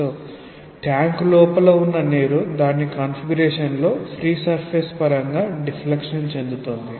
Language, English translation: Telugu, So, the water which is there within the tank just gets deflected in its configuration in terms of the free surface like a rigid body